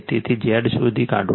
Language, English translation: Gujarati, So, if you find out Z